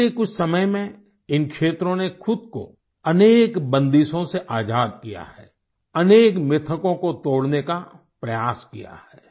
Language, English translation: Hindi, In the recent past, these areas have liberated themselves from many restrictions and tried to break free from many myths